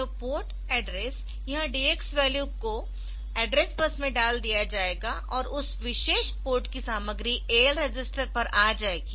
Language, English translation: Hindi, So, port address this DX value will be put onto the address bus for port address, and this content of that particular port will come to the AL register